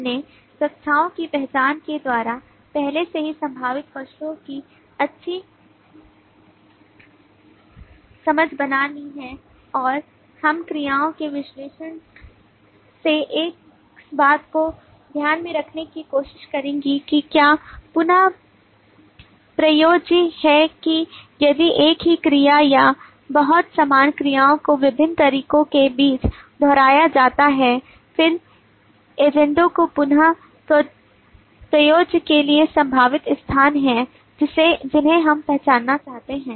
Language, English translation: Hindi, we already have made a good understanding of the possible objects by the identification of classes and we will try to take into account from the analysis of verbs as to whether there is reusability that is if the same action or very similar verbs are repeated amongst various different agents then those are potential places for reusability which we would like to identify